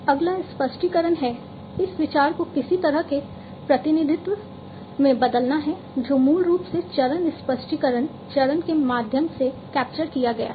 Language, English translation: Hindi, Next is the explanation this idea has to be transformed into some kind of a representation that is basically captured through the phase explanation phase